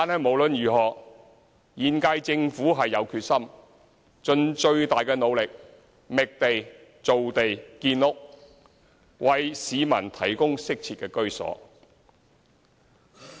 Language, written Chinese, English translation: Cantonese, 無論如何，現屆政府有決心盡最大努力，覓地造地建屋，為市民提供適切的居所。, Anyway the current - term Government is determined to make the biggest effort in identifying land for housing construction so as to provide suitable accommodation for the public